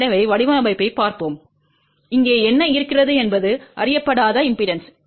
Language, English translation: Tamil, So, let us just look at the design, what we have here is a unknown impedance